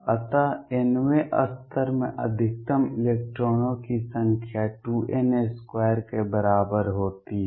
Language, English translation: Hindi, So, number of electrons maximum in the nth level is equal to 2 n square